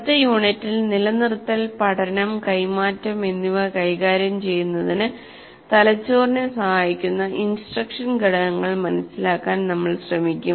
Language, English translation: Malayalam, And in the next unit, we'll try to understand the instructional components that facilitate the brain in dealing with retention, learning and transfer